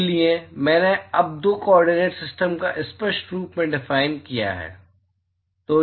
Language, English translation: Hindi, So, I have now clearly defined two coordinate system